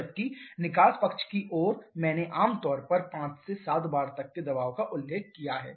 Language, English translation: Hindi, Whereas on the exhaust side say I have mentioned the pressure typically ranges from 5 to 7 bar